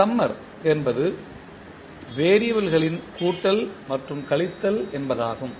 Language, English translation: Tamil, Summer means the addition and subtraction of variables